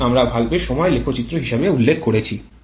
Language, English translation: Bengali, This is what we referred as the valve timing diagram